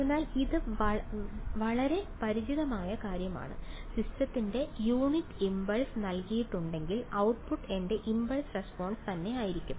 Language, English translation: Malayalam, So, this is something very very familiar right given unit impulse to the system whatever I get as the output is my impulse response